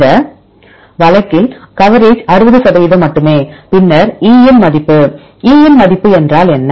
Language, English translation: Tamil, In this case, the coverage is only 60 percent, then E value; what is E value